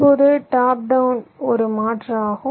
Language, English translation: Tamil, now top down is the other alternative